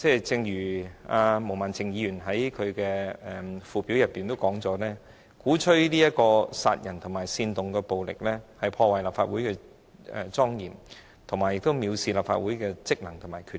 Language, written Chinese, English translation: Cantonese, 正如毛孟靜議員在她的議案附表中指出，何君堯議員在公開場合發表鼓吹殺人及煽動暴力言論，是破壞立法會的莊嚴，亦是藐視立法會的職能及權力。, As stated by Ms Claudia MO in the Schedule to her motion Dr Junius HOs public speech which advocated killing and incited violence damages the dignity of the Legislative Council and shows contempt of the powers and functions of the Council